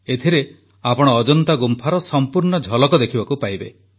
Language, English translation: Odia, A full view of the caves of Ajanta shall be on display in this